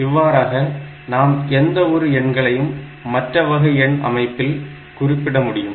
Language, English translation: Tamil, So, the same way, you can represent any number in any other number system